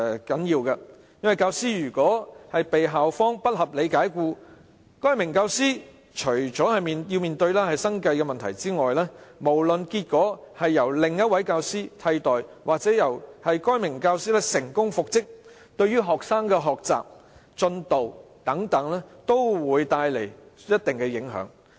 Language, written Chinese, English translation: Cantonese, 教師被校方不合理解僱，除了該名教師要面對生計問題外，無論該名教師被另一位教師替代或能成功復職，均會對學生的學習和其他進度造成一定的影響。, In the event that a teacher is unreasonably dismissed by the school apart from the teacher having to face livelihood problems students learning and other progress will certainly be impacted regardless of whether the teacher concerned is replaced or successfully reinstated